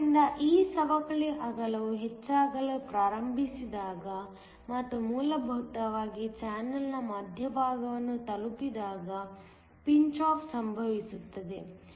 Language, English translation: Kannada, So, pinch off occurs, when this depletion width starts to increase and essentially reaches the center of the channel